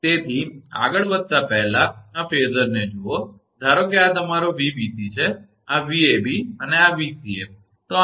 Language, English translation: Gujarati, So, before proceeding further, look at this phasor suppose this is your Vbc this is Vab and this is Vca